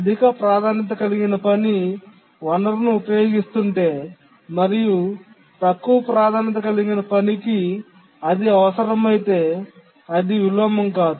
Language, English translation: Telugu, If a higher priority task is using a resource, the lower priority task need to wait